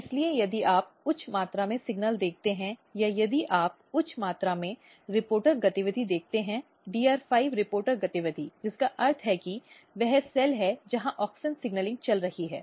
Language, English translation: Hindi, So, if you see high amount of signal or if you see high amount of reporter activity; DR5 reporter activity which means that, that is the cell where there is a auxin signalling going on